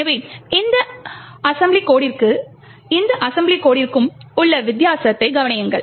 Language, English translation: Tamil, So, notice the difference between this assembly code and this assembly code